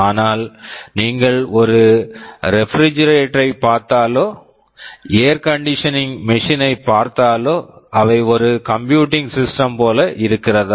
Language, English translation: Tamil, But if you look at a refrigerator, if we look at our air conditioning machine, do they look like a computing machine